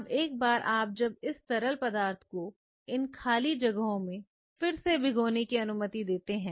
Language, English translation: Hindi, Now, once you do this you allow the fluid to get soaked again into these spaces fine